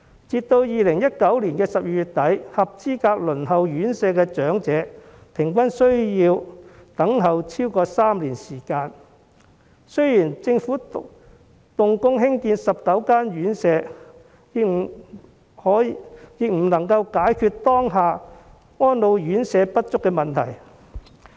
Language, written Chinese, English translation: Cantonese, 截至2019年12月底，輪候院舍的合資格長者平均需要等候超過3年，儘管政府動工興建19間院舍，亦無法解決當下安老院舍不足的問題。, As of end December 2019 eligible elderly people had to wait more than three years on average for an RCHE place . The commencement of construction of 19 RCHEs cannot address the current shortage of RCHEs